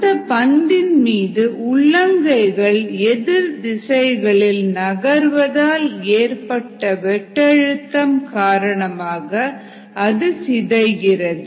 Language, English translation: Tamil, the ball distorts due to the shear forces exerted by the palms when they are moved in opposite direction